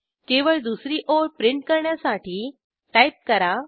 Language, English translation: Marathi, We see only the second line as printed